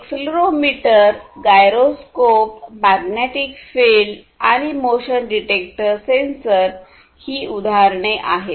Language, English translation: Marathi, Examples would be accelerometer, gyroscope, magnetic field, motion detector sensors, and so on